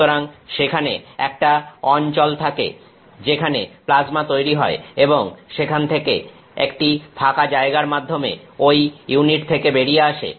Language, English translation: Bengali, So, there is a region where the plasma is created and from there it escapes out of that unit through an opening